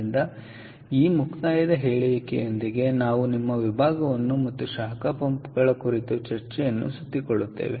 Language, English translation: Kannada, ok, all right, so with that concluding remark we will wrap up our section and discussion on heat pumps